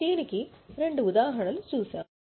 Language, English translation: Telugu, We had seen two examples of this